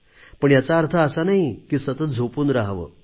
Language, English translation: Marathi, But this does not mean that you keep sleeping all the time